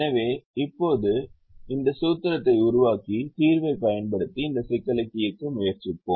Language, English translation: Tamil, so let's now right this formulation and try to solve this problem using the solver